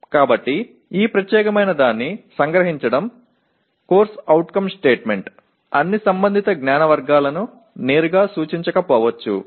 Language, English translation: Telugu, So the summarizing this particular one the CO statement may or may not directly indicate all the concerned knowledge categories